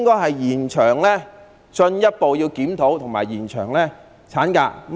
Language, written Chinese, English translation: Cantonese, 第二，我們應該進一步檢討和延長產假。, Secondly we should further review and extend maternity leave